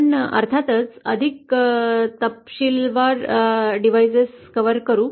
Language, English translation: Marathi, We will of course cover devices in more detail